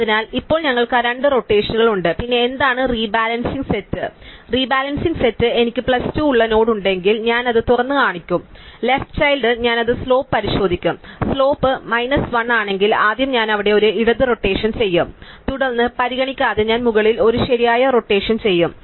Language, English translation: Malayalam, So, now that we have that two rotations, then what does rebalancing say, rebalancing says that if I have node which has plus 2, then I will expose its left child and I will check it slope, if it is slope is minus 1 then first I will do a left rotation there and then regardless I will do a right rotation at the top